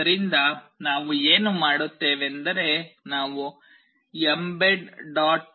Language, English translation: Kannada, So, what we do is that we go to a website mbed